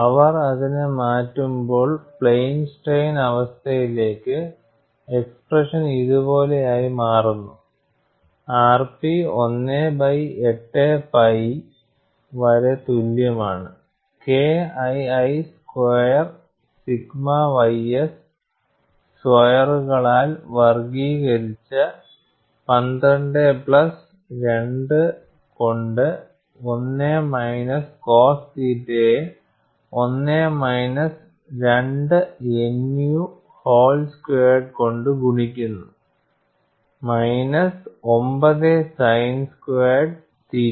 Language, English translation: Malayalam, And when they change it to plane strain situation the expression turn out to be like this, r p equal to 1 by 8 pi K 2 squared by sigma ys squared, multiplied by 12 plus 2 into 1 minus cos theta, multiplied by 1 minus 2 nu whole square minus 9 sin square theta